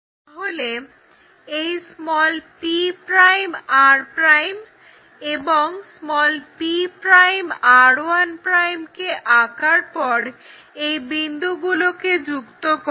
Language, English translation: Bengali, So, after drawing this p' r', p' r' and also p' r 1' connecting these points